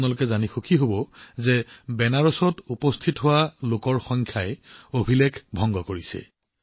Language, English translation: Assamese, You would also be happy to know that the number of people reaching Banaras is also breaking records